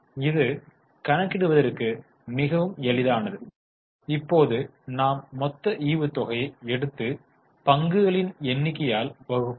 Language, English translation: Tamil, So, it is simple now we will take total dividend and divide it by number of shares